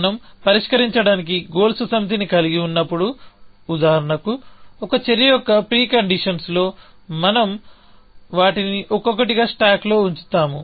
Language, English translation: Telugu, When we have a set of goals to solve, for example, in the pre conditions of an action, we put them one by one into the stack, which means